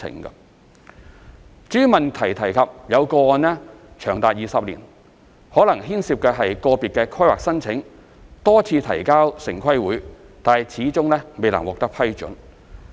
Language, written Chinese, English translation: Cantonese, 至於質詢提及有個案長達20年，可能牽涉個別規劃申請多次提交城規會但始終未獲批准。, As for a case mentioned in the question which took as long as 20 years to be processed it is about an individual planning application which has been submitted to TPB for a number of times with no approval given eventually